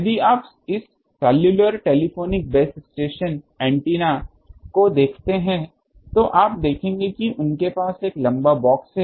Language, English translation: Hindi, If you look at the, this cellular telephonic base station antennas, you will see that they have a long box